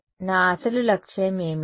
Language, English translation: Telugu, What was my original objective